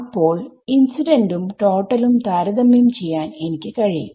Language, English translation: Malayalam, So, I can compare total I mean incident and total